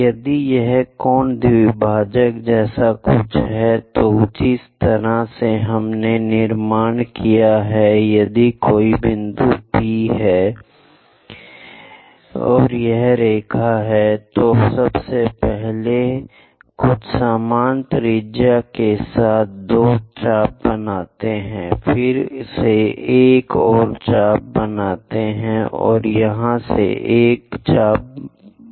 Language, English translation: Hindi, If it is something like angle bisector, the way how we have constructed is; if there is a point P, if there is a line, first of all with some equal radius make two arcs, from this again make one more arc, from here make one more arc join this